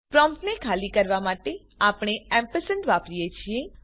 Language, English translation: Gujarati, We use the to free up the prompt